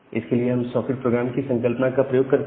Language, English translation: Hindi, So, for that we use this concept of socket programming